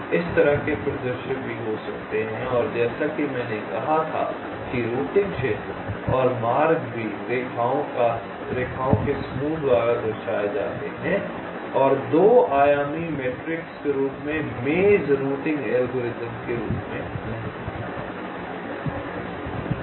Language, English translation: Hindi, such scenarios can also occur and, as i had said, the routing area and also paths are represented by the set of lines and not as a two dimensional matrix as in the maze routing algorithms